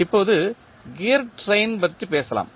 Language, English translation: Tamil, Now, let us talk about the gear train